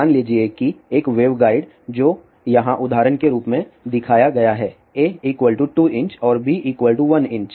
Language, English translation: Hindi, So, suppose a waveguide which is shown here as an example whereas, a is 2 inches and b is 1 inches